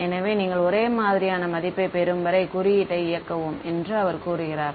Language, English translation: Tamil, And you keep running the code until you get a similar values